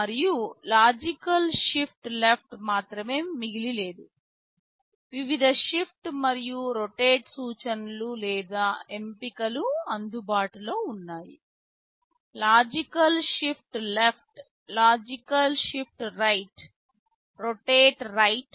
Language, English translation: Telugu, And, not only logical shift left, there are various shift and rotate instructions or options available; logical shift left, logical shift right, rotate right